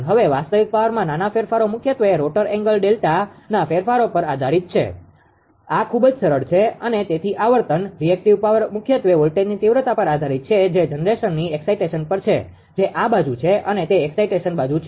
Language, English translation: Gujarati, Now, small changes is real power are mainly dependent on changes in rotor angle delta right this is very simple and that is the frequency, the reactive power is mainly dependent on the voltage magnitude that is called the generation excitation that is this side, right that is the this side excitation side right